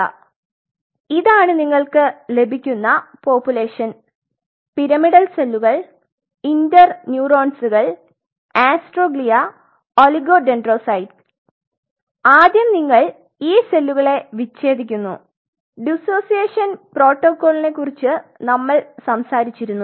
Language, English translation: Malayalam, So, this is the population what you are getting pyramidal cells interneurons astroglia oligodendrocyte first of all you dissociate these cells and we have talked about the dissociation protocol